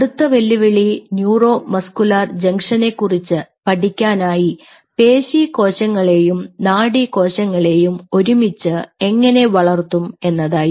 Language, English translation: Malayalam, so one and the other challenge was how to co culture a muscle and a neuron cell type to study neuromuscular junction